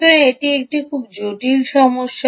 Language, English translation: Bengali, so that is a very critical problem